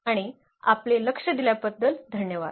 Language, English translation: Marathi, And, thank you for your attention